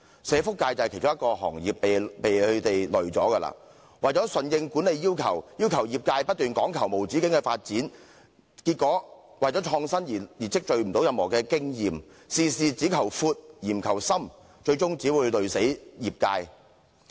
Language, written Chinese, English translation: Cantonese, 社福界便是其中一個被拖累的行業，為了順應管理要求，要求業界不斷講求無止境的發展，結果為了創新而無法累積任何經驗，事事只求闊，而不求深，最終只會拖垮業界。, The social welfare sector is one of the sectors being adversely impacted . In order to meet management demand the sector is required to pursue incessant development resulting in experience being unable to accumulate for the sake of innovation . The sheer emphasis on width rather than depth in all cases will only cripple the sector